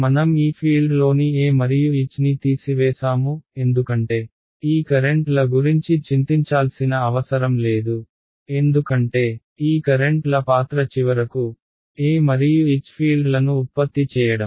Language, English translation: Telugu, I removed the field E and H inside the thing I do not have to worry about this currents over here because the role of this currents finally, is to produce the fields E and H